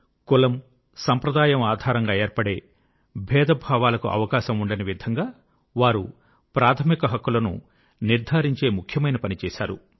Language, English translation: Telugu, He strove to ensure enshrinement of fundamental rights that obliterated any possibility of discrimination on the basis of caste and community